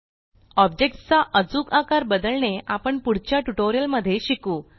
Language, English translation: Marathi, We will learn to exactly re size objects in later tutorials